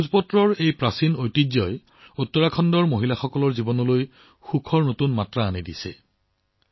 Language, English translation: Assamese, This ancient heritage of Bhojpatra is filling new hues of happiness in the lives of the women of Uttarakhand